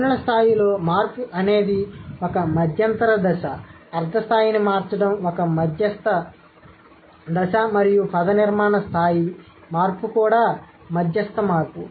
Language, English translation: Telugu, So, change in the phonological level is an intermediate stage, change of semantic level is an intermediate stage, and change of morphological level is also an intermediate change